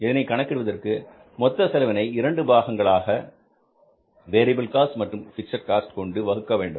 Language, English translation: Tamil, You calculate that, means divide the whole cost into two components, variable cost and the fixed cost